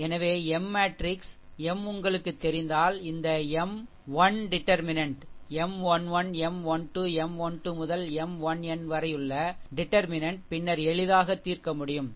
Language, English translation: Tamil, So, if you know the M matrix m, then ah determinant this M 1, the determinant that M 1 1, M 1 2, M 1 3 up to M 1 n, then easily easily can be solved, right